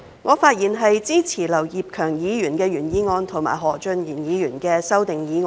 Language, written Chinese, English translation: Cantonese, 我會支持劉業強議員的議案及何俊賢議員的修正案。, I will give my support to Mr Kenneth LAUs motion and Mr Steven HOs amendment